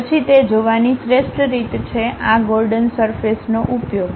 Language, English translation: Gujarati, Then the best way of looking at that is using these Gordon surfaces